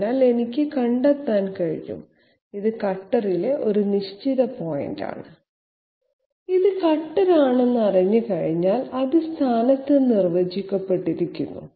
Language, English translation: Malayalam, So I can find out, this is a fixed point on the cutter, once I know this is the cutter is you know defined in position